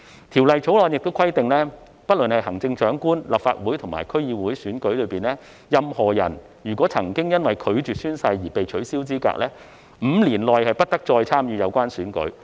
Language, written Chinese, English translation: Cantonese, 《條例草案》亦規定，不論是在行政長官、立法會或區議會選舉中，任何人若曾因拒絕宣誓而被取消資格 ，5 年內不得參與有關選舉。, The Bill also disqualifies persons who have been disqualified from entering on an office for declining to take an oath from standing as a candidate in the elections of the Chief Executive Legislative Council or DC to be held within five years